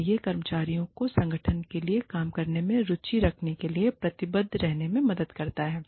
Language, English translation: Hindi, And, it also helps the employees, stay committed, stay interested, in working for the organization